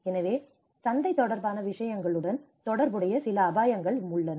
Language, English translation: Tamil, So, there are also some risks associated to the market related things